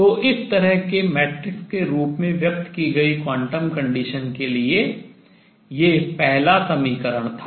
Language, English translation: Hindi, So, that was the first equation; the quantum condition expressed in terms of matrices like this